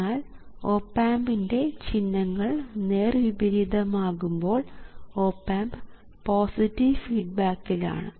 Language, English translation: Malayalam, so if you reverse so signs of both op amps, you will find that one of the op amps will be in positive feedback